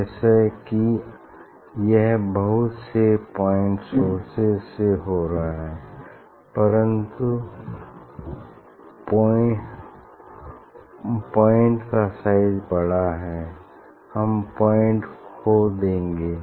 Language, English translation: Hindi, As if this is happening due to the many point source means due to the larger size of the point; we will lose the point